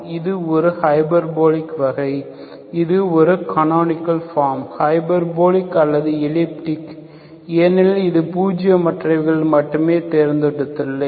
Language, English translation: Tamil, This is a hyperbolic case, this is a canonical form, canonical form, either hyperbolic or elliptic because I have chosen only that it is nonzero, okay